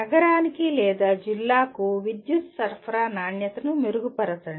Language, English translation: Telugu, Improve the quality of power supply to a city or a district